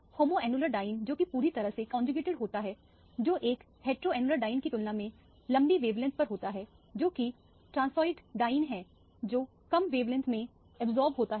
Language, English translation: Hindi, The homoannular diene because it is fully conjugated absorbs at a longer wavelength compared to a heteroannular diene, which is the transoid diene which absorbs at a lower wavelength